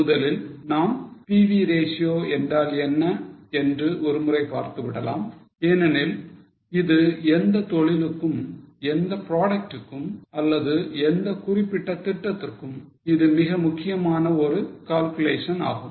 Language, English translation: Tamil, We will just have a look at what is PV ratio because it is a very important calculation for any business, for any product or for any particular plant